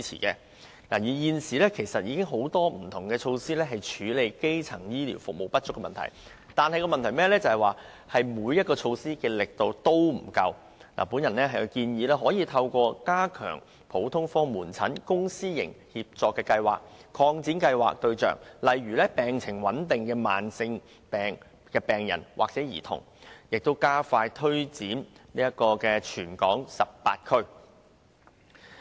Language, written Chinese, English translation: Cantonese, 雖然現時已有多項措施處理基層醫療服務不足的問題，但問題在於每項措施也是力度不足，故我建議政府可透過加強普通科門診公、私營協作計劃，擴大計劃的服務對象以涵蓋病情穩定的慢性病病患者或兒童，並加快推展計劃至全港18區。, The Government has already put in place various initiatives to tackle the problem of insufficient primary health care services but the point is none of the initiatives is vigorous enough . Therefore I suggest that the Government enhances the General Outpatient Clinic Public - Private Partnership Programme by expanding the scope to cover chronically ill patients in stable medical condition or children as the service targets and extending the programme for launching in the 18 districts throughout the territory